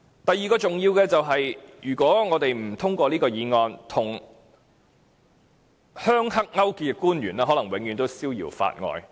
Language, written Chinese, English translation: Cantonese, 第二，如果我們不通過這項議案，與"鄉黑"勾結的官員可能永遠逍遙法外。, Second if we do not pass this motion the officials who had colluded with the rural - triad groups will go scot - free